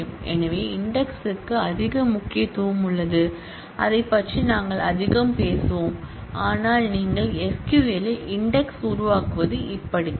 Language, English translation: Tamil, So, indexing has a lot of importance and we will talk about that more, but this is how you create index in SQL